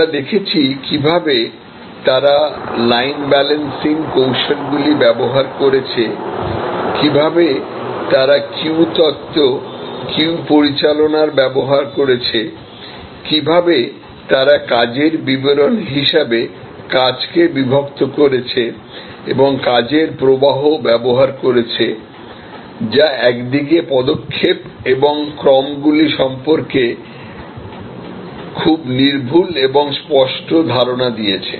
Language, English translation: Bengali, We looked at how they have used line balancing techniques, how they have used queue theory, queue management, how they have used job descriptions and job partitions and work flow, which provide on one hand, very precise and very clear ideas about the steps, the sequences